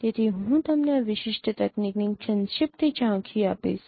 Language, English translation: Gujarati, So, I will give you a brief overview of this particular technique